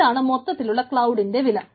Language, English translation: Malayalam, so what is the cloud unit cost